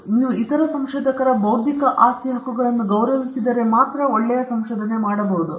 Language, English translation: Kannada, And this can be done only if you respect intellectual property rights of other researchers